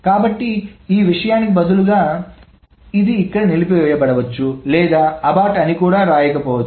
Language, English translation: Telugu, So this instead this thing, this may be aborted here or it may not even write abort